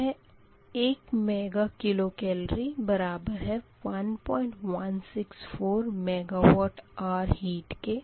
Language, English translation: Hindi, this is mega kilo calorie per mega watt hour